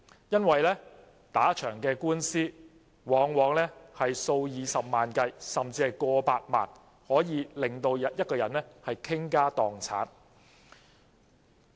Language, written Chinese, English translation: Cantonese, 因為打一場官司的費用往往數以十萬計，甚至過百萬，足令一個人傾家蕩產。, This is because the cost of legal proceedings for a case often reaches hundreds of thousands of dollars and even over 1 million an amount which may cost a person to lose all his money and properties